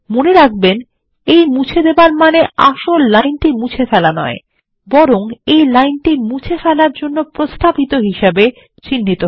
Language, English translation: Bengali, Note that the deletion does not actually delete the line, but marks it as a line suggested for deletion